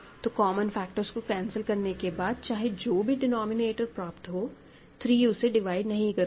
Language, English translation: Hindi, So, you cancel common factors 1 by 2 is what you get and then, 3 does not divide the denominator